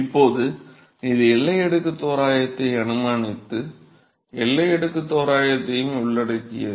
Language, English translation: Tamil, Now, this is after assuming boundary layer approximation and including the boundary layer approximation